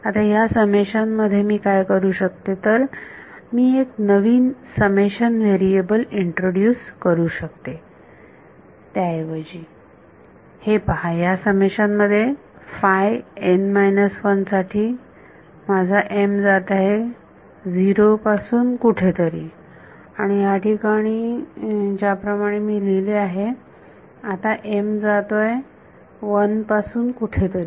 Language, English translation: Marathi, Now, in this summation, what I can do is I can introduce a new summation variable instead of, see this in the summation for psi m minus 1, my m is going from 0 to something and the way that I have written it over here now m is going from 1 to something